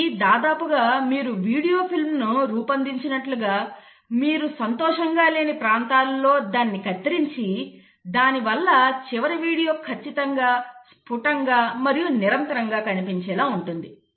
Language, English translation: Telugu, It is almost like you make a video film and then you kind of cut it wherever the regions you are not happy you do a crisp editing so that the final video looks absolutely crisp and continuous